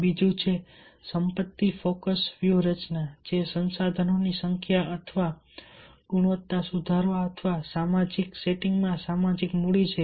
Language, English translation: Gujarati, another is asset focus strategy, improving the number or quality of resources or the social capital in the social setting